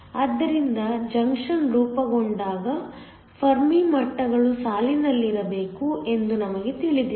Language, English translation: Kannada, So, When the junction is formed, we know that the Fermi levels have to line up